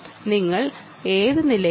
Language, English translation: Malayalam, which floor are you in